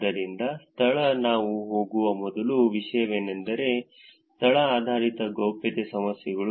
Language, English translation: Kannada, So, location, the first topic that we will go through is location based privacy problems